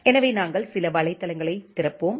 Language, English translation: Tamil, So, we will open some website